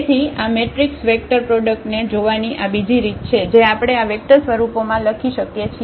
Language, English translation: Gujarati, So, that is another way of looking at this matrix vector product we can write down in this vector forms